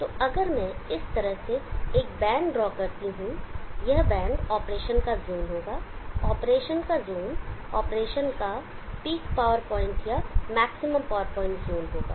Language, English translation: Hindi, So if I draw bad like this, this bad would be the zone of operation will be the zone of operation for P power point or maximum power point zone of operation